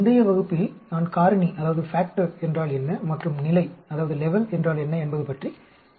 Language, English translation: Tamil, In the previous class I talked about what is the factor and what is the level